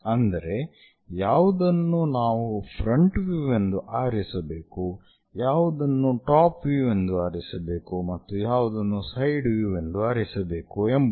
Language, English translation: Kannada, Later we will learn about their rules which one to be picked as front view, which one to be picked as top view and which one to be picked as side view